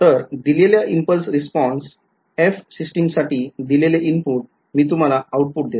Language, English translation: Marathi, So, given the impulse response given the input to the system f I give you the output